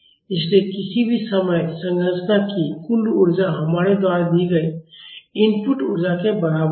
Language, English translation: Hindi, So, at any instant of time, the structure will have a total energy is equal to the input energy which we have given